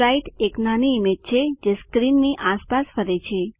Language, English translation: Gujarati, Sprite is a small image that moves around the screen.e.g